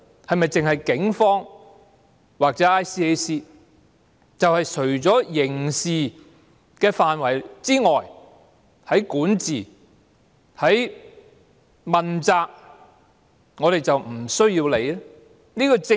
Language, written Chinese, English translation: Cantonese, 是否只有警方或 ICAC 可以這樣做，而除了刑事範圍外，在管治和問責方面，我們便無須理會？, Is this something that can only be done by the Police or the Independent Commission Against Corruption? . And beyond the scope of criminal offences should we just turn a blind to issues concerning governance and accountability?